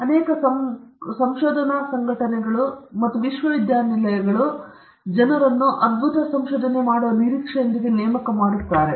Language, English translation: Kannada, Many research organizations and universities appoint people with the expectation that they come up with wonderful results in research